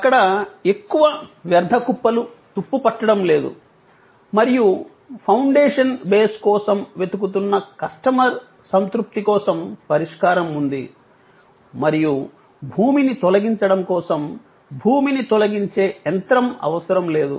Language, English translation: Telugu, There was no more junk heap rusting away and solution was there to the satisfaction of the customer, who was looking for the foundation base, looking for earth removal and not necessarily the earth removing machine